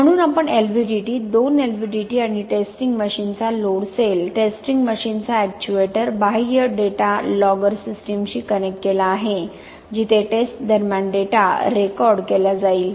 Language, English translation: Marathi, So we have connected the LVDT, two LVDTs and the load cell of the testing machine, actuator of the testing machine to the external data logger system where the data will be recorded during the testing